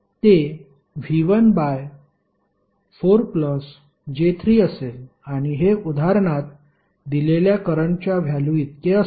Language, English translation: Marathi, It will be V 1 upon 4 plus j3 and this will be equal to the current value which is given in the example